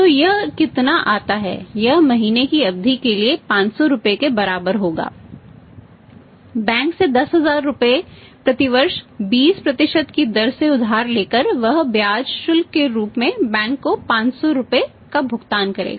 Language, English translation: Hindi, So, how much this works out this will work out as say rupees 500 for a period of 3 months but borrowing 10000 rupees from the bank at the rate of 20% per annum he ends up paying 500 rupees to the bank as the interest charge